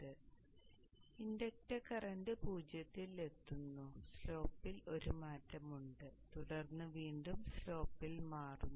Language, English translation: Malayalam, So the inductor current reaches zero, there is a change in the slope and then again change in the slope